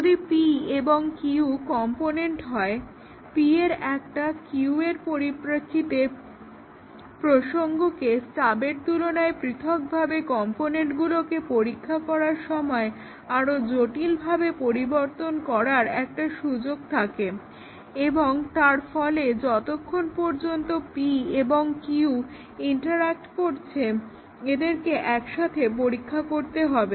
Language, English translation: Bengali, If p and q are components, p has an opportunity to modify the contexts in by q in a more complex way then that could be done by stubs during testing of components in isolation and therefore, as long as p and q can interact we need to test them together